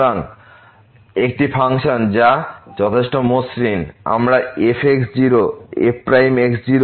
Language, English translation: Bengali, So, a function which is smooth enough we can write down as derivative , minus